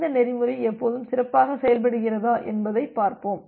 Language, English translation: Tamil, Let us see that whether this protocol works good always